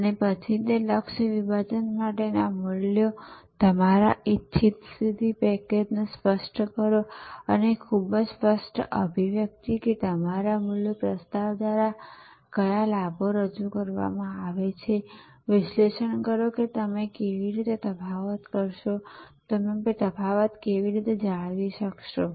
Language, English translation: Gujarati, And then, articulate your desired position package of values for that target segment and very clear articulation, that what benefits will be offer through your value proposition and analyse how you will differentiate, how will you maintain the differentiation